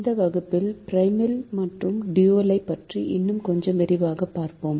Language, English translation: Tamil, in this class we will study the primal and the dual in little more detail